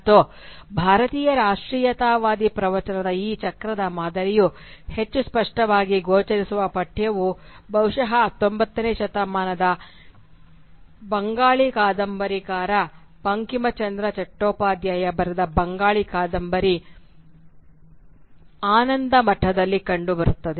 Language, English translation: Kannada, And the text where this cyclical pattern of the Indian nationalist discourse is most explicitly evident is perhaps in the Bengali novel Anandamath written by the 19th century Bengali novelist Bankimchandra Chattopadhyay